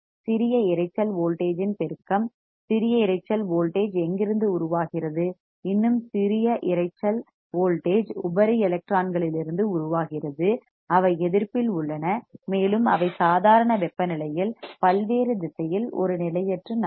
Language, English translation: Tamil, Amplification of what amplification of small noise voltage, small noise voltage generates from where, some more noise voltage generates from the free electrons right that are present in the resistance, and that are moving randomly in various direction in normal room temperature easy